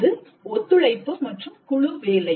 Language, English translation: Tamil, Collaboration and group work is very essential